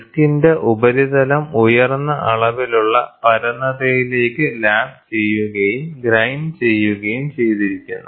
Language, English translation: Malayalam, The surface of the disk is ground and lapped to a high degree of flatness